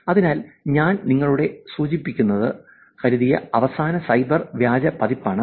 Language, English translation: Malayalam, So, that is the last cyber fake version that I thought I would actually mention it to you